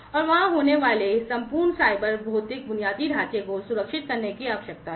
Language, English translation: Hindi, And there is need for securing the entire cyber physical infrastructure that is there